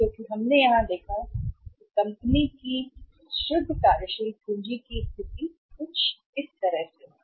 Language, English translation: Hindi, Because we have seen here that the net working capital position of the company here is something like this